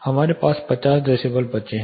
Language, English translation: Hindi, How much is the decibels left 50 decibels we have